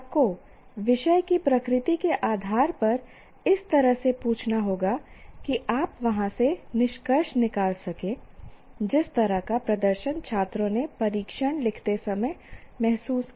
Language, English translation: Hindi, We cannot ask like that, but you have to ask based on the nature of the subject in such a way you can conclude from there the kind of experience, the kind of performance the students felt while writing the test